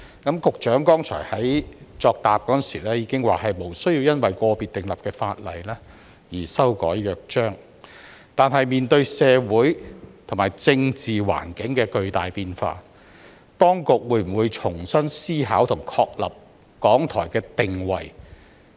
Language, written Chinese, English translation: Cantonese, 局長剛才亦在其答覆中表示，無需因個別新訂立的法例而修改《約章》，但面對社會及政治環境的巨大變化，當局會否重新思考和確立港台的定位？, The Secretary also said in his reply just now that it was not necessary to make changes to the Charter arising from individual new legislation but in the face of the tremendous changes in our social and political environments will the authorities consider afresh the positioning of RTHK and establish a new positioning for it?